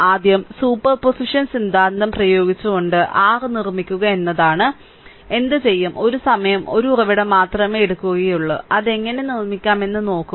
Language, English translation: Malayalam, First thing is by making your applying superposition theorem, what will do is, once you will take only one source at a time look how you can make it